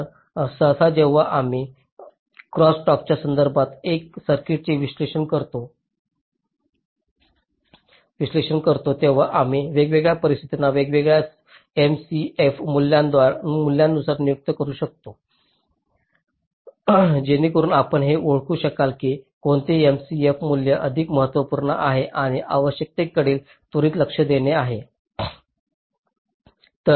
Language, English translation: Marathi, so usually when we analyze a circuit with respect to crosstalk ah, we can ah designate the different situations by different m c f values, so that you can identify that which m, c, f value is more crucial and needs means immediate attention